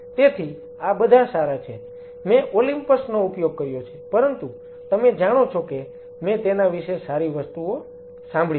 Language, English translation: Gujarati, So, these are some of the good ones Olympus I have a used, but you know I have heard good things about it